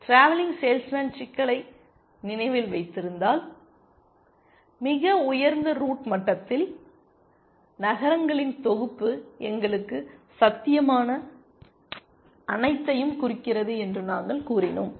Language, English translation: Tamil, If you remember the travelling salesman problem, we said that at the top most root level, the set of cities represent all possible to us